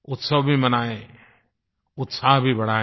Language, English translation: Hindi, Celebrate festivities, enjoy with enthusiasm